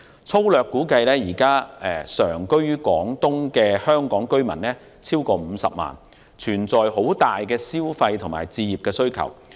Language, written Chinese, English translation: Cantonese, 粗略估計，現時常居於廣東的香港居民超過50萬人，對消費和置業的需求龐大。, By rough estimation there are more than 500 000 Hong Kong residents living in Guangdong currently . Their demand for consumption and home ownership are huge